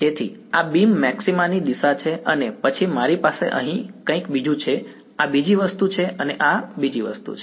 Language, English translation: Gujarati, So, this is the direction of beam maxima and then I have something else over here right this is another thing and this is yet another thing